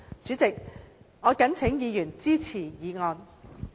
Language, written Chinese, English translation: Cantonese, 主席，我謹請議員支持議案。, President I urge Members to support this motion